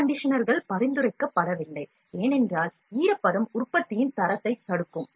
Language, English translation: Tamil, Air conditioners are not recommended, because humidity or moisture would hinder the quality of the product